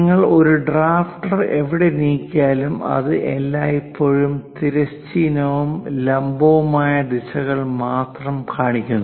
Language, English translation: Malayalam, Wherever you move this drafter, it always shows only horizontal and vertical directions